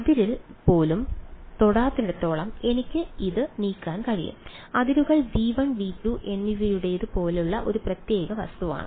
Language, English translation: Malayalam, I can move it as long as it is not even touching the boundary is ok; The boundary is a sort of peculiar object like the boundary belongs to both V 1 and V 2